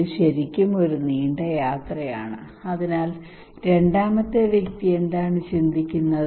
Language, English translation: Malayalam, It is really a long journey, so the second person what he would think